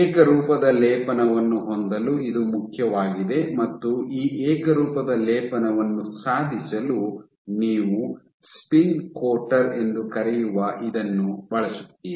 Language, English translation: Kannada, So, this it is important to have a uniform coating and to achieve this uniform coating you use something called a spin coater